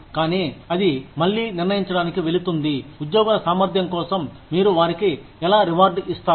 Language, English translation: Telugu, But, that again, goes in to deciding, how you reward employees, for their competence